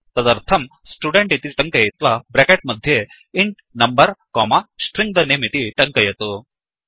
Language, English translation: Sanskrit, So type, Student within parentheses int number comma String the name